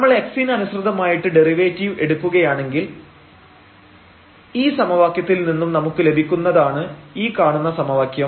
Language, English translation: Malayalam, So, we have won this equation out of this equation if we get the derivative with respect to x, if we differentiate this one